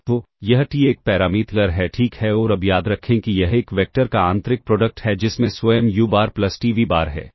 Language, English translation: Hindi, So, this t is a parameter ok and now remember this inner product of a vector with itself u bar plus t v bar